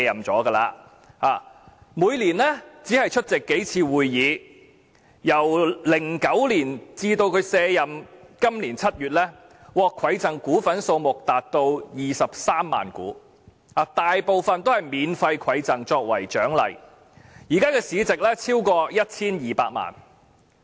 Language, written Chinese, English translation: Cantonese, 他每年只出席數次會議，由2009年至今年7月他卸任，他獲饋贈股份數目達23萬股，大部分都是以免費饋贈作為獎勵，現時市值超過 1,200 萬元。, He attended only a few meetings annually and from 2009 till his retirement this July he was given as many as 230 000 shares most of which were awarded to him for free . The market value of these shares is currently worth over 12 million